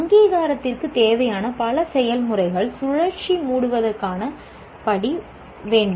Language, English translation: Tamil, Many of the processes required for accreditation need to have the step of closing the loop